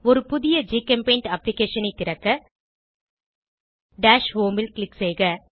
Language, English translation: Tamil, To open a new GChemPaint application, click on Dash home